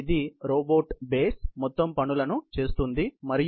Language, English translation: Telugu, This is the robot base for executing overall missions and this right here, is the upper arm